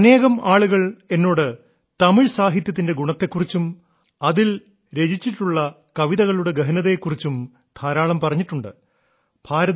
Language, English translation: Malayalam, Many people have told me a lot about the quality of Tamil literature and the depth of the poems written in it